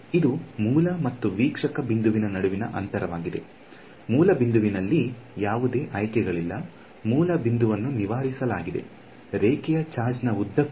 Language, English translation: Kannada, It is the distance between the source and observer point, there is no choice on the source point, source point is fixed is along the line charge